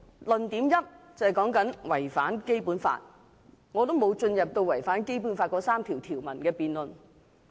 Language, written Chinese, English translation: Cantonese, 論點一是違反《基本法》，我並沒有進入違反《基本法》那3條條文的辯論。, The first argument is it violates the Basic Law . I did not engage in a debate on the provisions of those three Articles of the Basic Law being violated